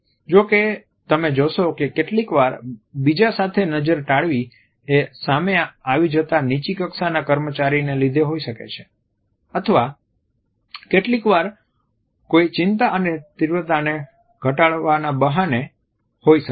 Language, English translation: Gujarati, However, you would find that sometimes gaze avoidance may also be associated with the intention of coming across as a more subordinate person or sometimes it may be in excuse to reduce the anxiety and intensity so, as to defuse a situation